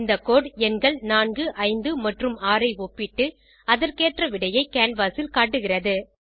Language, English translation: Tamil, This code compares numbers 4 , 5 and 6 and displays the results accordingly on the canvas